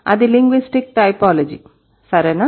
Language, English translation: Telugu, That is linguistic typology, right